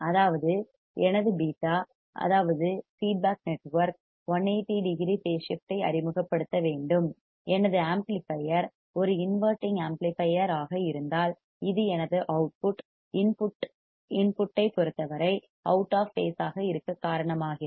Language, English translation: Tamil, That means that my beta that is feedback network should introduce a phase shift of 180 degree if my amplifier is an inverting amplifier which is causing my output to be out of phase with respect to input